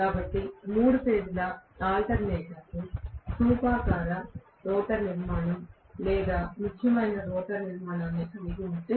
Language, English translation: Telugu, So if three phase alternators can have cylindrical rotor structure or salient rotor structure